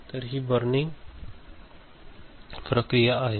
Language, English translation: Marathi, So, this is the burning in process ok